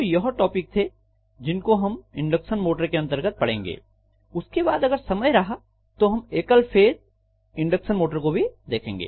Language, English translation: Hindi, So these are the topics that will be covered under induction motor then if time permits we will also look at single phase induction motor